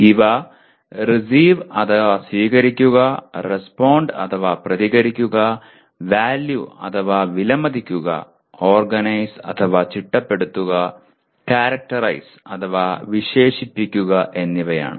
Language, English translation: Malayalam, And these are receive, respond, value, organize, and characterize